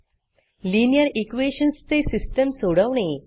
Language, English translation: Marathi, Solve the system of linear equations